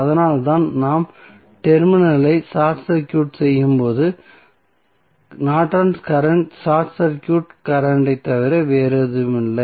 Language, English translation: Tamil, So, that is why when we short circuit the terminal we get the Norton's current is nothing but short circuit current